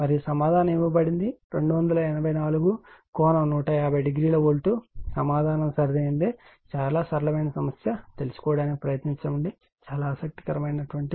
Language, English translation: Telugu, And the answer is given 284 angle 150 degree volt answer is correct you try to find out very simple problem, but very interesting problem , right